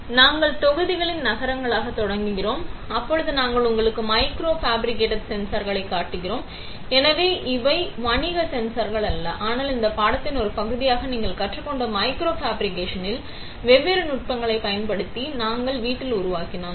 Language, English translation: Tamil, Now today where we start as cities of modules, where we show you micro fabricated sensors, so these are not commercial sensors but we have fabricated in house using the different techniques of micro fabrication that you have learned as part of this course